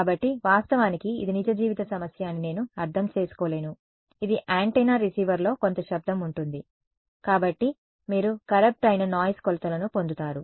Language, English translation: Telugu, So, of course, I cannot I mean this is a real life problem this is an antenna there will be some noise on the receiver so you will get noise corrupted measurements